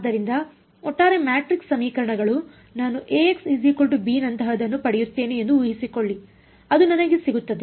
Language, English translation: Kannada, So, overall matrix equations supposing I get something like A x is equal to b that is what I get